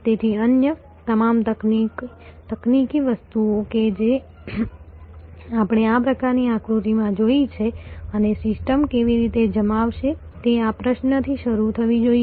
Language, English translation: Gujarati, So, all the other technological things that we saw in this kind of diagram and how the system will deployed must start from this question